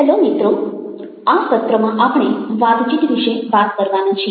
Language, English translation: Gujarati, hello friends, in this session we are going to talk about conversation